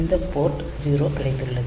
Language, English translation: Tamil, So, that is the Port 0